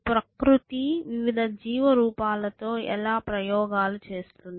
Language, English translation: Telugu, How does nature experiments with different life form